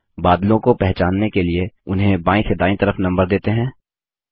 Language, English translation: Hindi, To identify the clouds, lets number them 1, 2, 3, 4, starting from left to right